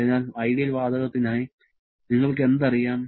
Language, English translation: Malayalam, So, for ideal gas what you know